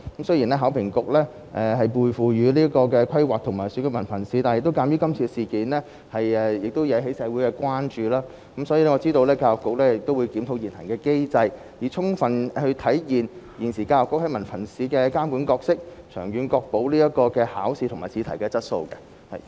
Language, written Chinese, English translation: Cantonese, 雖然考評局獲授權規劃及評核文憑試，但鑒於今次事件引起了社會關注，我知道教育局會檢討現行機制，以充分體現教育局現時在文憑試方面的監管角色，長遠確保考試及試題的質素。, Although HKEAA is authorized to plan and assess HKDSE since this incident has aroused public concern I know the Education Bureau will review the existing mechanism so as to fulfil its role of monitoring the conduct of HKDSE with a view to ensuring the sustained quality of the examination and question papers